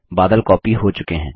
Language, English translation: Hindi, The cloud has been copied